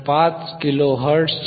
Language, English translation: Marathi, 5 kilo hertz above 1